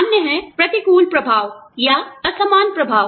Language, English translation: Hindi, The other is, adverse impact, or disparate impact